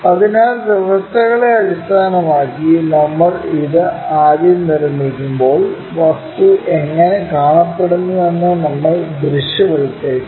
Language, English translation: Malayalam, So, when we are constructing this first of all based on the conditions, we have to visualize how the object might be looking